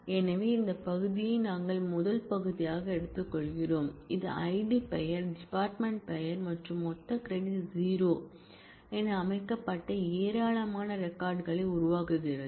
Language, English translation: Tamil, So, we are taking the first part this part is selection which generates a whole lot of records having ID, name, department name and the total credit set to 0